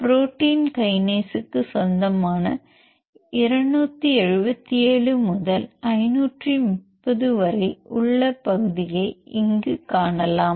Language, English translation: Tamil, So, here you can see the region the sequence belongs to protein kinase that starts from 277 to 530